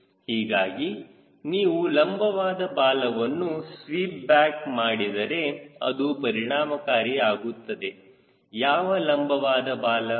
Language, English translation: Kannada, so if you sweep back vertical tail because more effective, which vertical tail there are